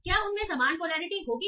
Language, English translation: Hindi, So will they have the same polarity